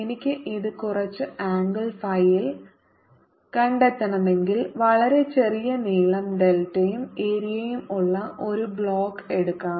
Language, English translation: Malayalam, if i want to find it at some angle phi, let me take a box here of very small length, delta, an area a